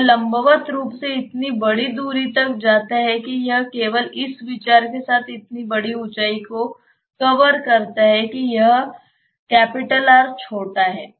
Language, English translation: Hindi, It goes vertically such a large distance it covers such a huge height just with the consideration that this R is small